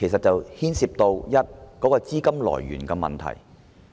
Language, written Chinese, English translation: Cantonese, 當中涉及資金來源的問題。, The point at issue is the source of funding